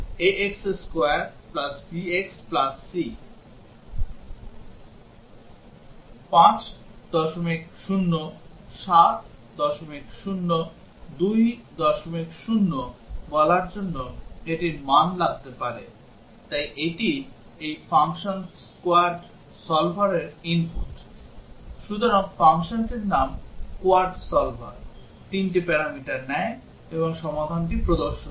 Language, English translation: Bengali, 0, so that is the input to this function quad solver; so name of the function is quad solver, takes three parameters and displays the solution